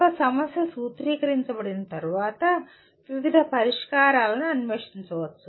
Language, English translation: Telugu, Once a problem is formulated, various solutions can be explored